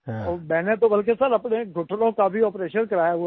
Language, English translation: Hindi, I have earlier undergone a knee surgery also